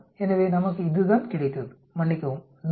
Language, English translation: Tamil, So that is how we got, sorry, 100